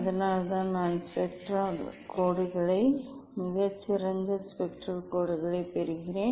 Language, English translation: Tamil, that is why this I am getting the spectral lines very fine spectral lines